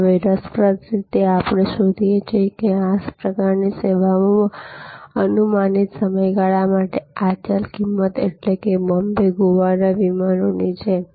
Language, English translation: Gujarati, These are, now interestingly we find that in this kind of services, these variable price for predictable duration; that means, like a Bombay, Goa flight